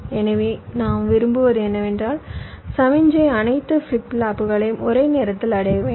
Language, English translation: Tamil, so what you want ideally is that the signal should reach all flip flops all most at the same time